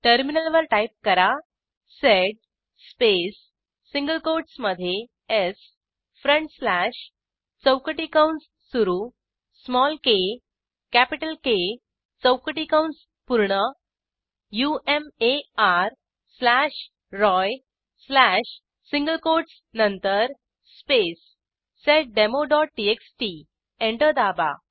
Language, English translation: Marathi, If you want to replace all occurrences of Kumar with Roy Type on the terminal sed space within single quote s front slash / opening square bracket small k capital K closing square bracket umar slash Roy slash after the single quotes space seddemo.txt Press Enter